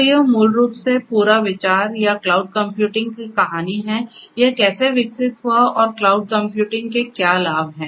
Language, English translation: Hindi, So, this is basically the whole idea or the story of cloud computing and how it evolved and what are the benefits of cloud computing